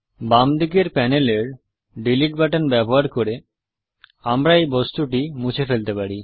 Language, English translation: Bengali, We can also delete this object, using the Delete button on the left hand panel